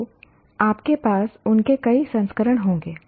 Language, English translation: Hindi, So you will have many versions of them